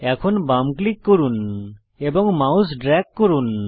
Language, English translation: Bengali, Now left click and drag your mouse